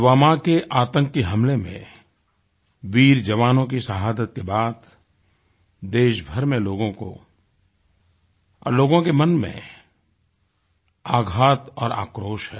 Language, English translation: Hindi, As a consequence of the Pulwama terror attack and the sacrifice of the brave jawans, people across the country are agonized and enraged